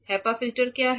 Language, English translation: Hindi, What is HEPA filter